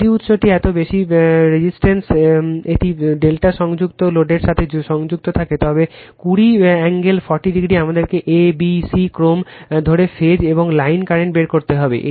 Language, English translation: Bengali, If the source is connected to a delta connected load of this much of impedance, 20 angle 40 degree we have to find out the phase and line current assuming abc sequence